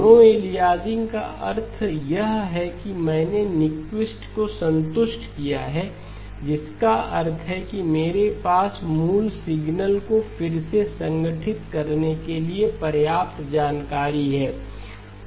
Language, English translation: Hindi, No aliasing means that I have satisfied Nyquist which means that I have sufficient information to reconstruct the original signal